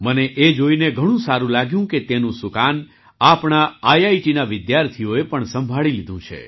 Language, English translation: Gujarati, I loved seeing this; our IIT's students have also taken over its command